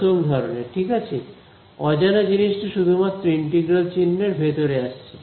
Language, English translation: Bengali, First kind right, there is the unknown is appearing only inside the integral sign